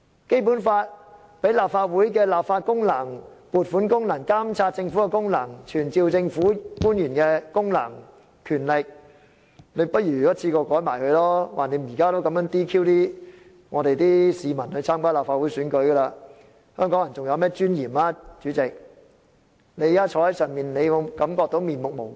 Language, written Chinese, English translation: Cantonese, 《基本法》賦予立法會立法功能，包括撥款功能、監察政府的功能、傳召政府官員的功能和權力，不如他也一次過一併修改吧，反正現在已經這樣 "DQ" 參加立法會選舉的市民了，試問香港人還有甚麼尊嚴呢，主席，你坐在上面的位置，會否感到面目無光？, The Basic Law empowers the Council to perform the lawmaking function such as the function to allocate funds the function to monitor the Government as well as the function and right to summon government officials . He had better amend them altogether . Anyway members of the public are deprived of the right to run in the Legislative Council election now